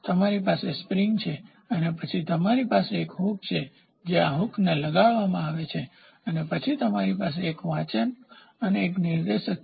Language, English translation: Gujarati, So, you have a spring and then you have a hook this hook is grouted and then you have a reading you have a pointer here